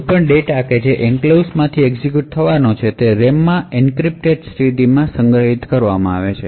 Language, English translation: Gujarati, So, essentially any data which is to be executed from the enclave is going to be stored in the RAM in an encrypted state